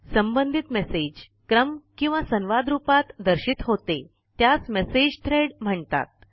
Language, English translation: Marathi, Related messages that are displayed in a sequence or as a conversation are called Message Threads